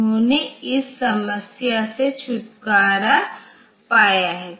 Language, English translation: Hindi, They have just got rid of this problem